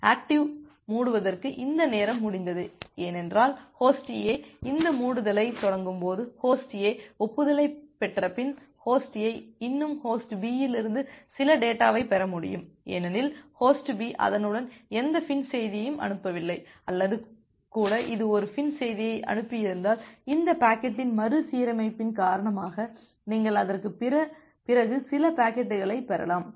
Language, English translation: Tamil, We require this timeout for active close because it may happen that when Host A is initiated this closure, Host A after getting the acknowledgement Host A can still receive some data from Host B because, Host B has not sent any FIN message with it or even if it has sent a FIN message it may happen that because of these reordering of the packet you may receive certain packets after that